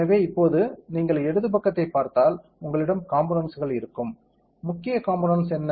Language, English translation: Tamil, So, now if you look at the left side you will have components; what is the component main component